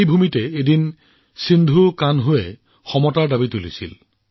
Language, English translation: Assamese, From this very land Sidhho Kanhu raised the voice for equality